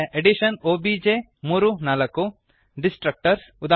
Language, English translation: Kannada, Addition obj (3, 4) Destructors eg